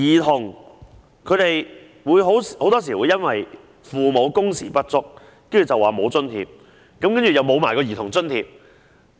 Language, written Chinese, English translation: Cantonese, 父母很多時因工時不足而不獲津貼，同時失去兒童津貼。, Given the inadequate hours worked parents are often not granted such allowances and also denied the Child Allowance